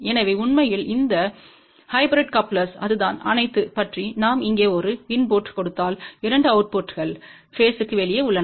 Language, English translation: Tamil, So in fact, that is what this hybrid coupler is all about; that if we give a input here the 2 outputs are at out of phase